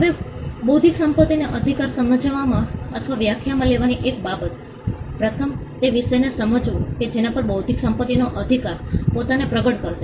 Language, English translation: Gujarati, Now, one of the things in understanding or in defining intellectual property right, is to first understand the subject matter on which the intellectual property right will manifest itself on